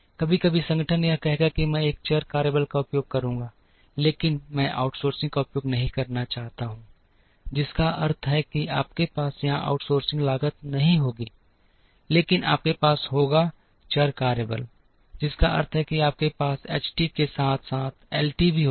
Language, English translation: Hindi, Sometimes, the organization will say that I will use variable workforce, but I do not want to use outsourcing, which means you will not have the outsourcing cost here, but you will have the variable workforce, which means you will have the H t as well as L t